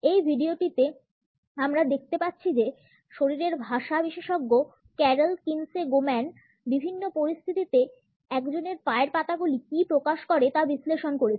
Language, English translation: Bengali, In this video, we can see that the body language expert carol Kinsey Goman is analyzed what one’s feet tell in different situation